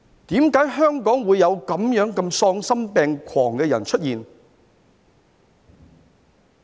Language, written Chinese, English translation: Cantonese, 為何香港會有這麼喪心病狂的人出現？, Why can some people in Hong Kong be so heartless and deranged?